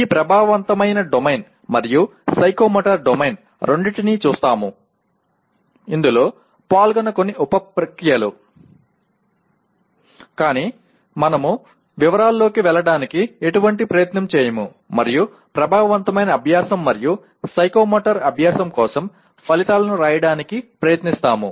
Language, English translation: Telugu, We will see both these affective domain as well as psychomotor domain, some of the sub processes that are involved; but we do not make any attempt to get into the detail and try to write outcomes for affective learning and psychomotor learning